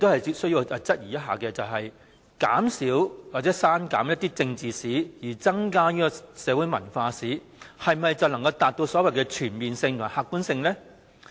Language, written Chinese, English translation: Cantonese, 第一，我質疑減少或刪減政治史，繼而增加社會文化史，是否便可以達到所謂的全面性和客觀性呢？, First I doubt whether the so - called comprehensiveness and objectivity may be achieved by excluding or reducing the coverage of political history and subsequently increasing the coverage of social history and cultural history